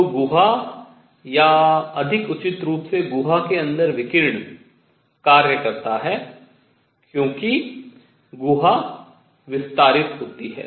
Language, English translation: Hindi, So, the cavity or more appropriately radiation inside the cavity does work as the cavity expands